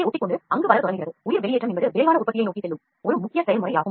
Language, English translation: Tamil, So, bio extrusion is one of the major process which leads towards rapid manufacturing